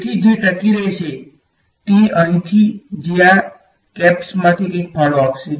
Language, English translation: Gujarati, So, what will survive will be whatever is contributing from these caps over here